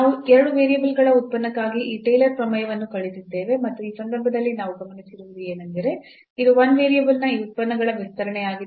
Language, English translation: Kannada, Well so, we have learned this Taylor’s theorem for a function of two variables and in this case what we have what we have observed that it is just the extension of these functions of 1 variable